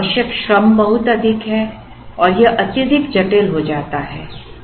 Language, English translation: Hindi, The labor required is very high and it gets highly complex